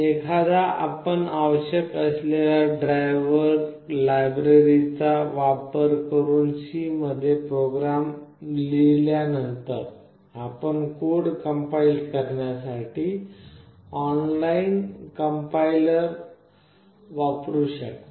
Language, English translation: Marathi, Once you write the program in C using necessary driver libraries those are present, you can use the online compiler to compile the code